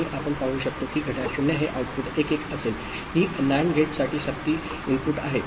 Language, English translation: Marathi, And we can see the clock is 0 this output will be 1 1, these are the forcing input for the NAND gate